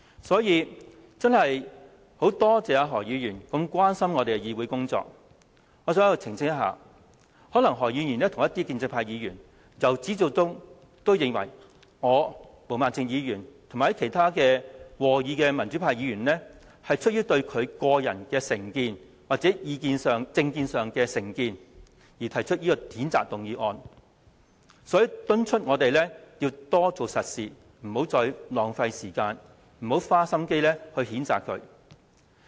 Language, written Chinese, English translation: Cantonese, 所以，我真的很感謝何議員這麼關注立法會的議會工作，我想在此澄清，可能何議員和部分建制派議員由始至終也認為我、毛孟靜議員和其他和議的民主派議員是出於對何議員的個人有成見，或有政見上的成見而提出譴責議案，所以敦促我們多做實事，不要再浪費時間，不要花心機譴責他。, And so I really feel thankful towards Dr HO for being so concerned about the Councils work . I would like to make clarification here . Maybe right from the beginning Dr HO and some of the pro - establishment Members opine that the censure motion was moved due to the personal or political prejudice held against Dr HO by me and Ms Claudia MO as well as other pan - democratic Members who support the motion